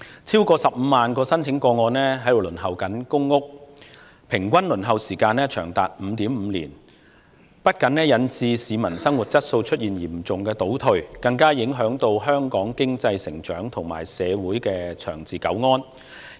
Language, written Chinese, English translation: Cantonese, 超過15萬宗輪候公屋個案的平均輪候時間長達 5.5 年，不僅引致市民生活質素嚴重倒退，更影響香港經濟成長和社會長治久安。, The average waiting time for over 150 000 public housing applications is 5.5 years . Not only has this led to serious deterioration in the quality of life of the public even the economic growth and social stability of Hong Kong have been adversely affected